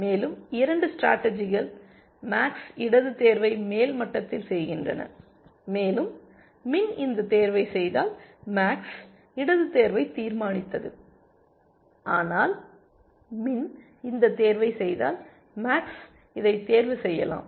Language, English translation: Tamil, And the 2 strategies are the one where max makes the left choice at the top level, and if min were to make this choice then, max has decided the left choice, but if min were to make this choice, max could either choose this or it could choose that